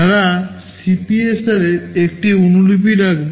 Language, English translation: Bengali, They will hold a copy of the CPSR